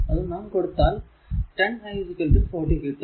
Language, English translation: Malayalam, So, minus 10 i 2 is equal to 0